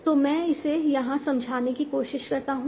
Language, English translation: Hindi, So let me try to explain it here